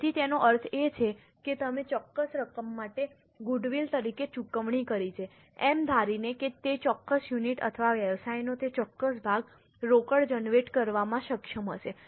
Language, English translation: Gujarati, So, what it means is you have paid for a certain amount as a goodwill, assuming that that particular unit or that particular part of the business would be able to generate cash